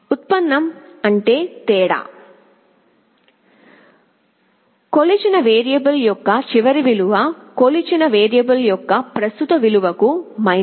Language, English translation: Telugu, Derivative means the difference; last value of the measured variable minus the present value of the measured variable